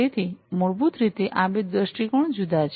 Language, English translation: Gujarati, So, basically these two perspectives are different